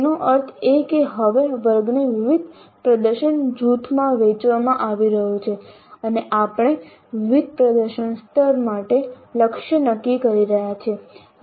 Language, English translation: Gujarati, That means now the class is being divided into the different performance groups and we are setting targets for different performance levels